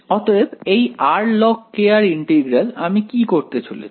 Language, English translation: Bengali, So, what can we do about integral of r log k r